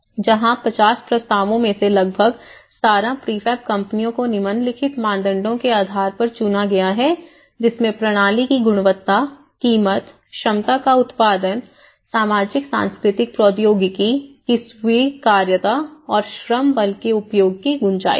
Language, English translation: Hindi, And, this is where about 17 prefab out of 50 proposals 17 prefab companies were selected based on the following criteria, one is the quality of the system, the price, the production of the capacity, socio cultural accessibility, acceptability of the technology and scope for the use of labour force